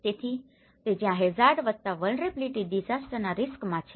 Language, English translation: Gujarati, So that is where the hazard plus vulnerability is going to disaster risk